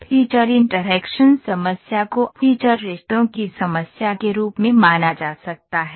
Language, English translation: Hindi, The feature interaction problem can be treated as a problem of feature relationship